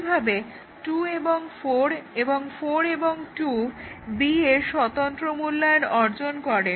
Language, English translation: Bengali, Similarly, 2 and 4 and 4 and 2 achieve independent evaluation of B